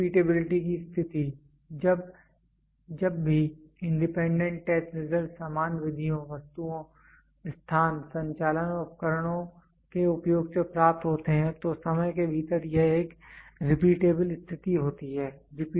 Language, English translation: Hindi, Next repeatability conditions, whenever independent test results are obtained using same methods, items, place, operations and equipment within short interval of time it is a repeatable condition